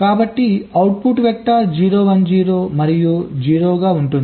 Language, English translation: Telugu, so the output vector will be zero, one, zero and zero